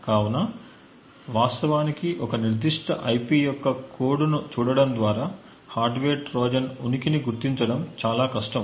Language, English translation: Telugu, So, therefore just by actually looking at the code of a particular IP, it is very difficult to actually detect the presence of a hardware Trojan